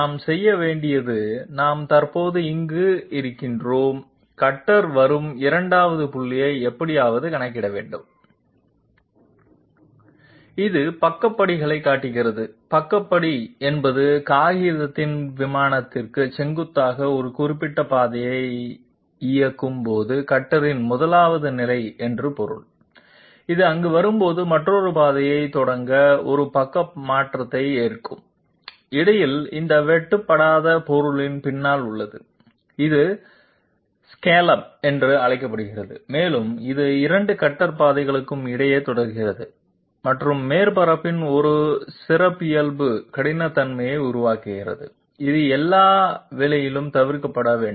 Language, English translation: Tamil, And we have to we are at present residing here, we have to somehow calculate the 2nd point at which the cutter arrives This shows the sidestep, sidestep means that this is the 1st position of the cutter when it is executing a particular path perpendicular to the plane of the paper and when it comes here, it takes a side shift to start yet another path, in between its leaves behind this uncut material which looks like an upraised triangular portion, it is called scallop and it continues throughout between the 2 cutter paths and creates a characteristic roughness of the surface which is to be avoided at all cost